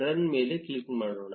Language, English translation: Kannada, Let us click on run